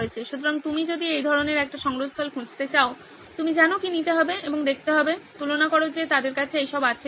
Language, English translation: Bengali, So if you are to look for such a repository, you know what to take and see, compare whether they have all that